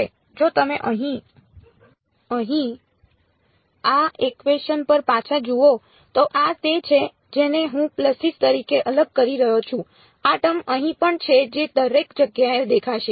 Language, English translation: Gujarati, Now if you look back at this equation over here, this is what I am discretising as pulses there is this term also over here which is going to appear everywhere